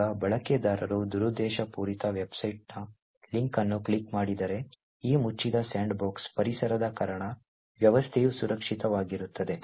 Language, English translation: Kannada, Now, if a user clicks on a link in a malicious website the system would still remain secure, because of this closed sandbox environment